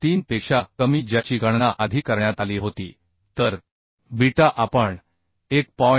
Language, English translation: Marathi, 443 which was calculated earlier So beta we can consider as 0